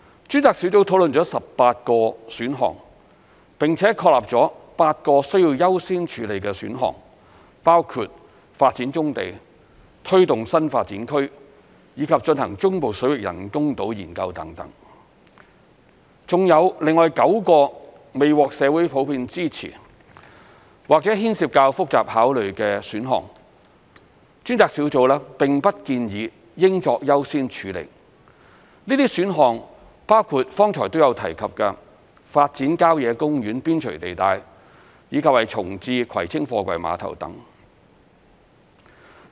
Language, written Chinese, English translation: Cantonese, 專責小組討論了18個選項，並且確立了8個需優先處理的選項，包括發展棕地、推動新發展區，以及進行中部水域人工島研究等；還有另外9個未獲社會普遍支持，或牽涉較複雜考慮的選項，專責小組並不建議應作優先處理，這些選項包括剛才亦有提及的發展郊野公園邊陲地帶，以及重置葵青貨櫃碼頭等。, The Task Force has discussed 18 options and decided that eight of them should take priority which include taking forward brownfield development spearheading the projects of new development areas conducting study on developing artificial islands in the Central Waters etc . There are nine other options which have not received the general support of society or involve more complex considerations and were not recommended by the Task Force to be accorded priority . These options include developing sites on the periphery of country parks and relocating the Kwai Tsing Container Terminal as mentioned earlier on